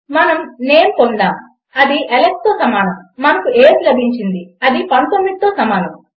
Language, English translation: Telugu, We have got name and that is equal to Alex and weve got an age which is equal to 19